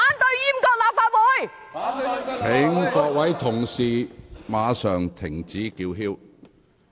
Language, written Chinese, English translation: Cantonese, 請各位議員立即停止叫喊。, Will Members stop shouting immediately